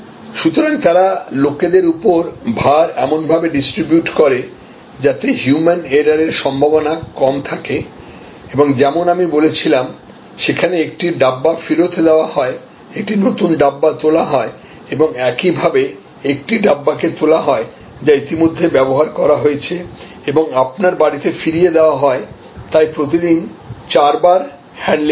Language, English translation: Bengali, And therefore, they distribute the load on people accordingly, so that there is less chance of human error and as I said, there are one Dabba is returned, a fresh Dabba is picked up and similarly, one Dabba is picked up, which is already been used and is handed over for the delivery back to your home, so four handlings per day